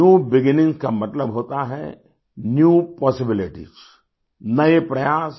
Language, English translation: Hindi, New beginning means new possibilities New Efforts